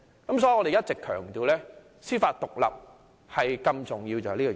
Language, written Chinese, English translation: Cantonese, 因此，我們一直強調司法獨立的重要性。, That is why we always emphasize the importance of judicial independence